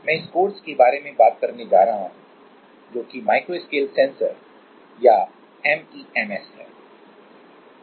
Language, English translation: Hindi, So, I am going to talk about this course that is Microscale Sensors or MEMS